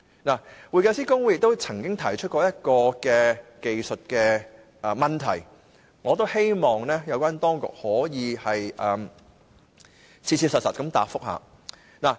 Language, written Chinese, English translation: Cantonese, 會計師公會曾提出一項技術問題，我希望有關當局可以切實回答。, The Institute has raised a technical issue to which I hope the authorities will earnestly respond